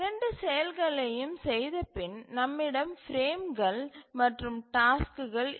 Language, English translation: Tamil, So, after doing both of these actions we will have the schedule table where we have the frames and the tasks